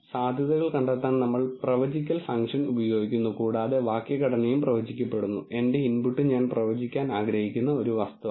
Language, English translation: Malayalam, To find the odds we are going to use the predict function and the syntax is predict and my input is an object for which I want to predict it